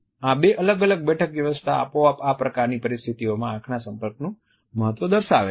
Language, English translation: Gujarati, These two different seating arrangements automatically convey the significance of eye contact in these type of situations